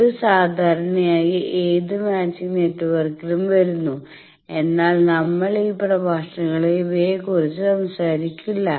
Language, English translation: Malayalam, Generally in any 2 matching network, but we would not talk of these in lectures